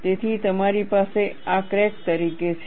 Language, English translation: Gujarati, So, I have this as the crack